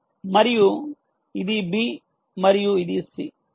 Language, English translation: Telugu, this is a and this is b and this is c, this is a